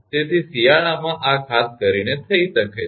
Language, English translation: Gujarati, So, this this can happen particularly in the winter